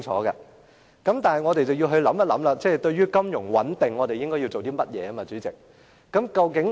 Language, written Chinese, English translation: Cantonese, 代理主席，我們要想一想，對於金融穩定，我們應該要做些甚麼？, Deputy President we have to think about what we should do in the interest of financial stability